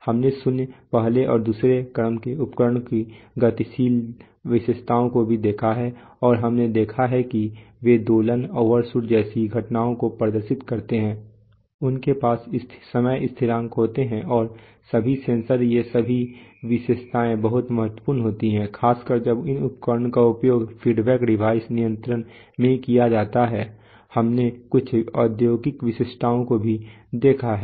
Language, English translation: Hindi, We have also looked at the dynamic characteristic of zeroth, first and second order instruments and we have seen that they exhibit phenomena like oscillations, overshoot, they have time constants and all the sensor all these characteristics are very important especially when these devices are used as feedback devices in control ,we have also seen some industrial specifications